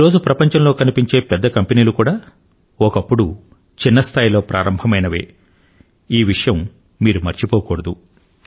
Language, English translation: Telugu, And you should not forget that the big companies which exist in the world today, were also, once, startups